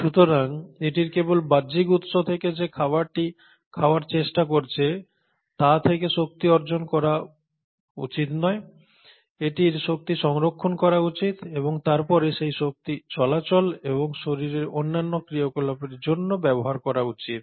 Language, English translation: Bengali, So it not only should acquire energy from outside sources such as the food which it is trying to eat, it should also conserve energy and then utilise that energy for movement and other body functions